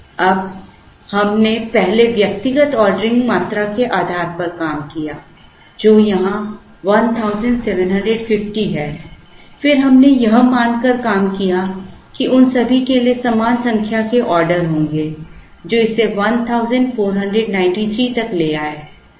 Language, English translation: Hindi, Now, we first worked out based on individual ordering quantities which is here 1750, then we worked out assuming that all of them will have equal number of orders which brought it down to 1493